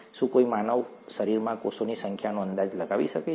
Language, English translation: Gujarati, Can anybody guess the number of cells in the human body